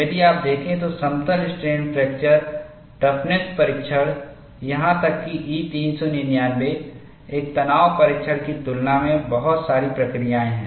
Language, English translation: Hindi, If you look at, plane strain fracture toughness tests, even by E 399, lot of procedures in comparison to a tension test